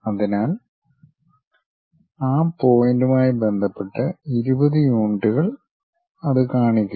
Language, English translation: Malayalam, So, with respect to that point twenty units locate it